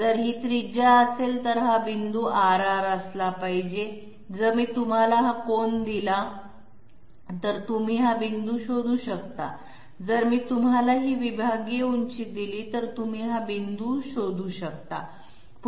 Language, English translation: Marathi, If this is radius, then this point must be r, r, if I give you this angle, you can find out this point, if I give you this segmental height, you can find out this point